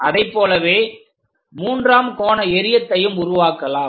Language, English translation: Tamil, Similarly, if we are making third angle projections